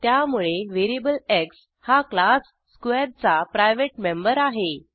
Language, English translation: Marathi, Hence variable x is a private member of class square